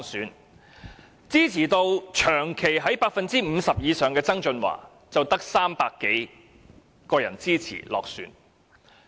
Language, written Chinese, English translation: Cantonese, 反而支持度長期在 50% 以上的曾俊華，卻只得300多人投票支持而落選。, On the contrary John TSANG who had been constantly having a popularity rating of above 50 % was defeated in the election with the votes of only 300 - odd Election Committee members